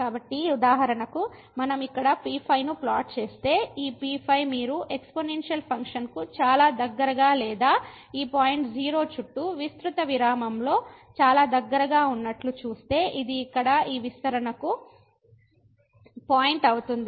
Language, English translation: Telugu, So, for example, if we plot here then this if you see it is pretty close to the exponential function in a very wide range of or in a wide interval around this point 0 which was the point of this expansion here